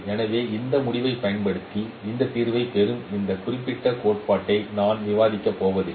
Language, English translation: Tamil, So I am not going to discuss this particular theory by which you get this solution